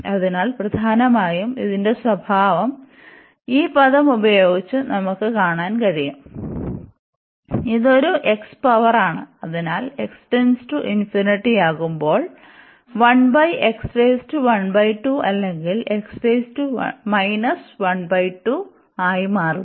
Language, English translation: Malayalam, So, mainly the behaviour of this we can see by this term here which is a x power, so 1 over x power 1 by 3 or this is x power minus 1 by 3 as x approaches to infinity